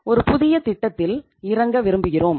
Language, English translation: Tamil, We want to venture into a new project